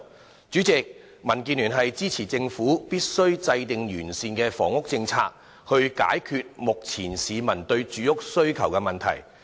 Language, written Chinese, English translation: Cantonese, 代理主席，民主建港協進聯盟支持政府必須制訂完善的房屋政策，以解決目前市民的住屋需求問題。, Deputy President the Democratic Alliance for the Betterment and Progress of Hong Kong DAB concurs that the Government must formulate a comprehensive housing policy to solve the existing housing need of the people